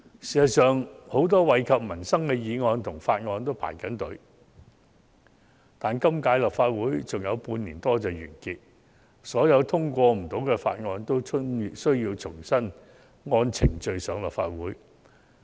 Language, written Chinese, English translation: Cantonese, 事實上，很多惠及民生的議案和法案皆在輪候審議，但本屆立法會的任期只餘下半年多便會完結，所有未能通過的法案均需重新按程序提交立法會。, As a matter of fact many motions and bills that are beneficial to peoples livelihood are waiting in the line for deliberation . But the remaining term of the current Legislative Council will come to an end in about half a year by which time all those bills that have not been passed will have to undergo all over again the procedures for presentation to the Legislative Council